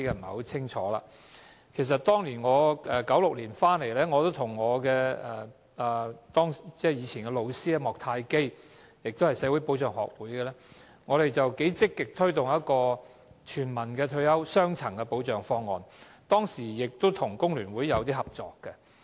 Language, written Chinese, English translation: Cantonese, 我在1996年回流香港，我和當時的老師莫泰基——他也是香港社會保障學會的成員——積極推動一個雙層的全民退休保障方案，當時跟工聯會合作。, I returned to Hong Kong in 1996 . Mr MOK Tai - kee who was a teacher at the time―he is also a member of the HK Social Security Society―and I actively advocated a two - tier universal retirement protection proposal and we cooperated with FTU back then